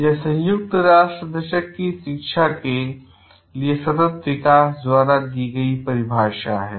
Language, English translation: Hindi, So, this is a definition given by United Nations Decade of Education for sustainable development